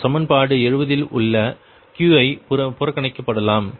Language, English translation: Tamil, right, and qi may be neglected in equation seventy